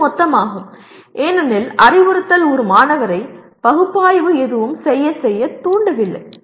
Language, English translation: Tamil, And this is total because instruction itself is not doing anything to make a student analyze